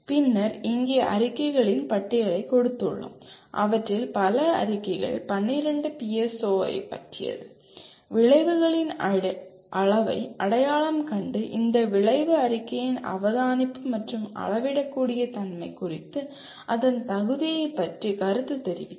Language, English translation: Tamil, And then here we have given a list of statements, several of them about 12 of them, identify the level of outcome and comment on its appropriateness with respect to observability and measurability of this statement of the outcome